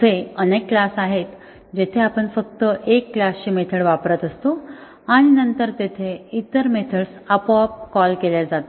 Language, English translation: Marathi, There are multiple classes we are just invoking method of one class and then the other methods are automatically in invoked